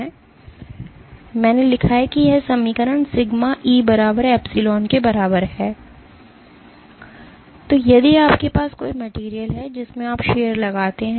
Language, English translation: Hindi, So, I wrote this equation sigma is equal to E times epsilon, if you have a material in which you are exerting shear